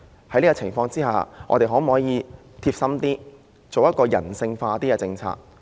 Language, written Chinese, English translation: Cantonese, 在這情況下，我們的政府可否貼心一點，制訂人性化的政策？, Under such circumstances can our Government be a bit more caring and formulate some human - based policies?